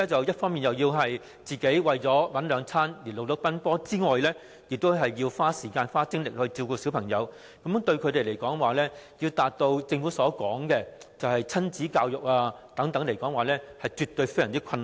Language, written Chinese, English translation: Cantonese, 一方面，他們要為生活奔波；另一方面，又要花時間和精力照顧小朋友，如果要他們達致政府鼓勵的親子教育，實在非常困難。, On the one hand they lead a hectic life in order to make a living while on the other they have to devote themselves to the care of their children so it is indeed very difficult for them to practise the parental education encouraged by the Government